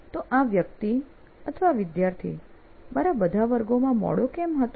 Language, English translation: Gujarati, So why was this guy student late to all my classes